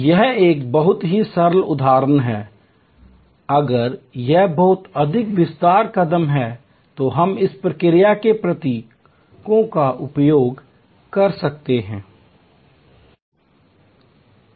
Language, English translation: Hindi, This is a very simple example, if it is a much more detail steps we can use this process symbols